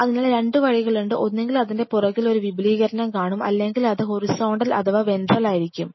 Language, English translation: Malayalam, So, there are 2 ways either you will see an extension on the back of it, or either it could be horizontal or it could be a vertical